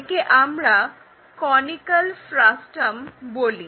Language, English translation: Bengali, Which which is what we call conical frustum